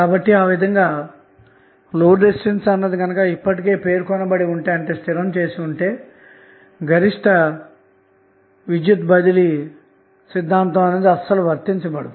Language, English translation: Telugu, So, in that way, if the load resistance is already specified, the maximum power transfer theorem will not hold